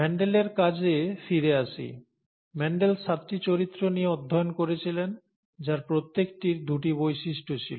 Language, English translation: Bengali, Coming back to Mendel’s work, Mendel studied seven characters, each of which had two traits